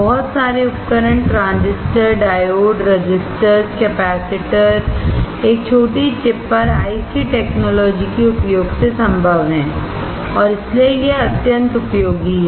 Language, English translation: Hindi, A lot of devices transistors, diodes, resistors, capacitors on a single chip is possible using the IC technology and that is why it is extremely useful